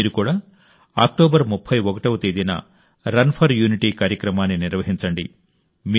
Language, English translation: Telugu, You too should organize the Run for Unity Programs on the 31st of October